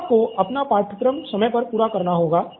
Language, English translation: Hindi, She has to finish her syllabus on time